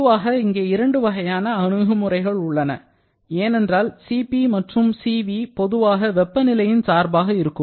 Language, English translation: Tamil, There are generally two kinds of approaches because Cp and Cv generally functions of temperature